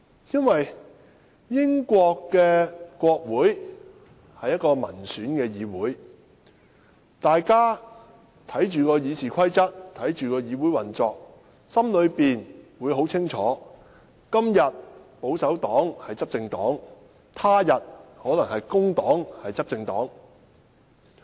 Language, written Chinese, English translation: Cantonese, 因為英國國會是民選產生的議會，大家看着《議事規則》，看着議會運作，心裏很清楚：今天的執政黨是保守黨，他日可能是工黨。, The reason is that the British parliament is elected by the people . Everyone is very clear about how they should treat the Standing Orders and the functioning of the parliament well aware that while the ruling party today is the Conservative Party the Labour Party may become the ruling party in the future